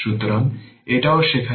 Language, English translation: Bengali, So, this is also not there